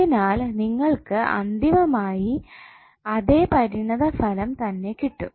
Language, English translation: Malayalam, So you will get eventually the same result